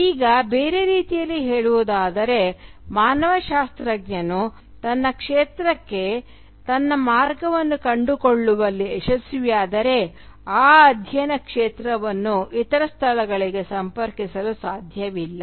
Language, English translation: Kannada, Now, in other words, if the anthropologist managed to find his or her way to the field of study then that field of study cannot but be connected to other places